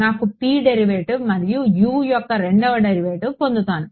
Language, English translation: Telugu, I am going to get a derivative of P and a second derivative of U right